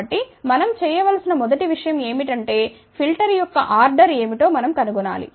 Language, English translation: Telugu, So, the first thing what we need to do is we need to find out what is the order of the filter